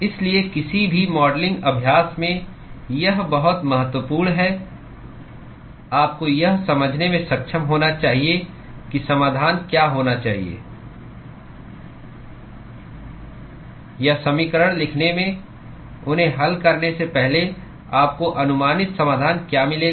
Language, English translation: Hindi, So, this is very important in any modeling exercise you should be able to intuit what should be the solution or what will be the approximate solution that you would get even before writing the equation, solving them